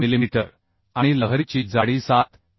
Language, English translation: Marathi, 6 millimetre and thickness of the weld is 7